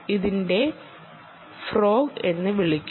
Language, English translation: Malayalam, this is called a frog, thee d tag